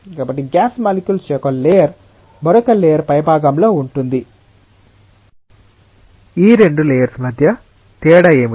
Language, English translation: Telugu, So, one layer of gas molecules which is at the top of another layer which is like this: what is the difference between these two layers